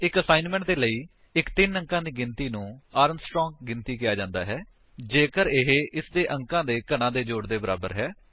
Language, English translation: Punjabi, For assignment, a three digit number is called Armstrong Number if it is equal to the sum of cubes of its digits